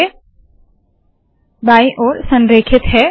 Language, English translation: Hindi, Now it is left aligned